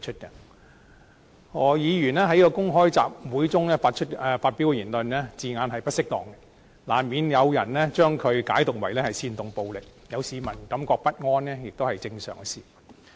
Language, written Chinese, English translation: Cantonese, 何議員在公開集會中發表的言論，字眼並不適當，難免有人將它解讀為煽動暴力，有市民感到不安也是正常的事。, The wordings used in the remarks made by Dr HOs at the public assembly are inappropriate . It is just natural for people to construe them an incitement to violence and therefore feel discomfort